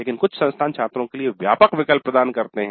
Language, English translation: Hindi, But some institutes do offer a wide choice for the students